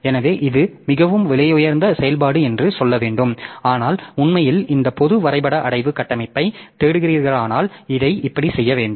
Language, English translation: Tamil, So, that is another very costly operation I should say but if you are really looking for this general graph directory structure then we have to do it like this